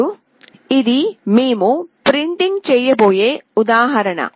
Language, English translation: Telugu, Now, this is an example that we will be printing